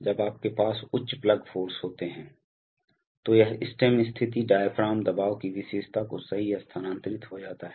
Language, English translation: Hindi, So when you have high plug forces then this stem position to diaphragm pressure characteristic gets shifted right